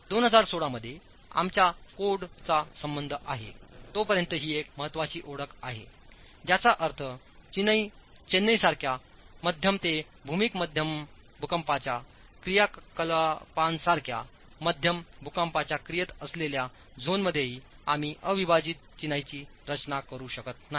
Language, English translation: Marathi, This is something that is a landmark introduction as far as our code is concerned in 2016, which means in zones even of moderate seismic activity such as low to moderate seismic activity such as Chennai, we cannot design unreinforced masonry